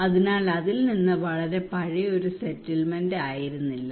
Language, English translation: Malayalam, So from it was not a very old settlement as such